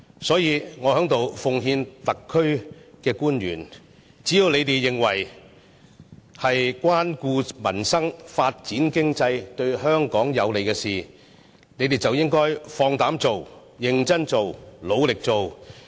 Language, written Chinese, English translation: Cantonese, 所以，我在此奉勸特區官員，只要是你們認為可以關顧民生、發展經濟、對香港有利的事情，便應放膽做、認真做、努力做。, Therefore I would hereby tender a piece of advice to SAR officials Just act boldly seriously and diligently to do what you think are conducive to peoples livelihood economic development and the future of Hong Kong